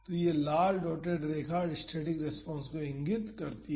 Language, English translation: Hindi, So, this red dotted line indicates the static response